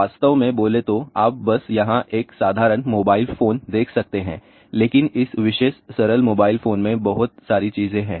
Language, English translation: Hindi, So, mobile phone actually speaking you can just see here a simple mobile phone , but in this particular simple mobile phone there are too many things are there